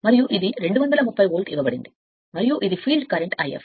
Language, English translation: Telugu, And this is 230 volt is given, and this is the field current I f